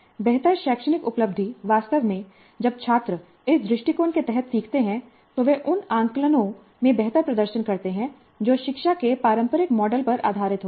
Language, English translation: Hindi, In fact, when the students learn under this approach, they seem to be performing better in the assessments which are based on the traditional models of instruction